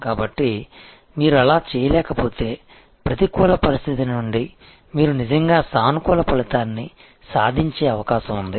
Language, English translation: Telugu, So, if you do unable to do that, then there is a possibility that you will actually achieve a positive result out of a negative situation